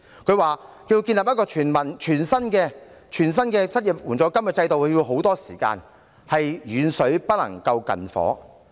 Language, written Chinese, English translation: Cantonese, 局長表示，要建立一個全新的失業援助金制度需時甚久，遠水不能救近火。, The Secretary said that the establishment of a brand new unemployment assistance fund scheme would take a long time . Distant water cannot put out a fire nearby